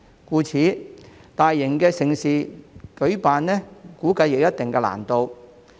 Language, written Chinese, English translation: Cantonese, 因此，我估計舉辦大型盛事將有一定難度。, Therefore I reckon that it is unlikely for mega events to be organized